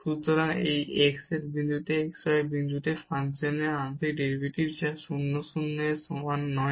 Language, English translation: Bengali, So, this is the partial derivative of the function at with respect to x at the point x y which is not equal to 0 0